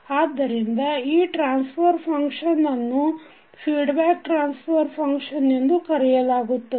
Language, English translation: Kannada, So this particular transfer function is called feedback transfer function